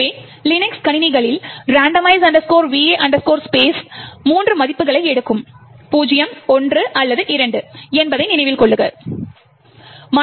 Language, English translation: Tamil, So, we recollect that, in the Linux systems the randomize va space would take 3 values 0, 1 or 2